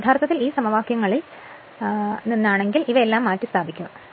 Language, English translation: Malayalam, So, if you from equation 1, 2 and 3, 4 you substitute all these things